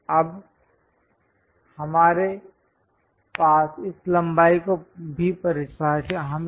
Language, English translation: Hindi, Now, we have this length also has to be defined